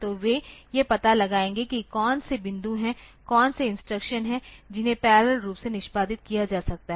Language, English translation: Hindi, So, they will find out like what are the points, what are the instruction that can be executed parallelly